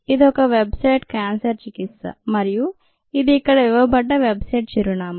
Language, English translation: Telugu, this is a website cancer treatment and this was the address that was given